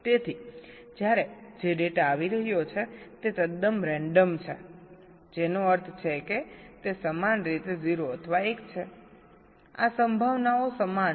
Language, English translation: Gujarati, so when the data which is coming is totally random, which means they are equally zero or one, the probabilities are equal